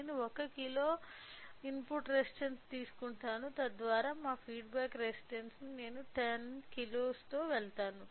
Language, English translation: Telugu, So, I will take input resistance of 1 kilo, so that our feedback resistance I go with 10 kilo right